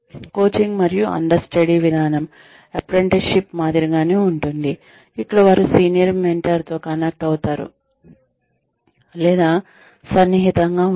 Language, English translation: Telugu, Coaching and understudy approach, is similar to apprenticeship, where one is connected with, or put in touch with, a senior mentor